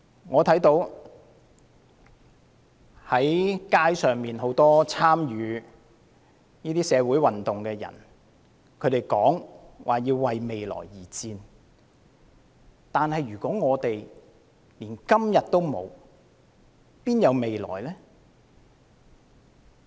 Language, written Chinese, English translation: Cantonese, 我看到街上很多參與社會運動的人說要為未來而戰，但如果連今天也沒有，又哪有未來呢？, I notice that many people who took to the street and participated in the social movement have claimed that they were fighting for the future . But the future is meaningless if we are unable to enjoy the present?